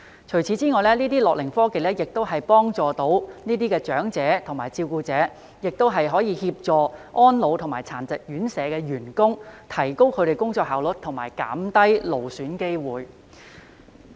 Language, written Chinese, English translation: Cantonese, 除此以外，這些樂齡科技除了能幫助這些長者和照顧者，亦可協助安老及殘疾院舍員工，提高他們的工作效率及減低勞損機會。, Besides assisting elderly persons and carers gerontechnology may also help enhance the work efficiency and minimize the physical strain of the staff of residential care homes for the elderly or persons with disabilities